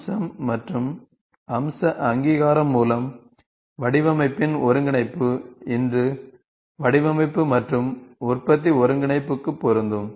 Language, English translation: Tamil, The integration of design by feature and feature recognition, designed by feature and feature recognition is applicable for design and manufacturing integration today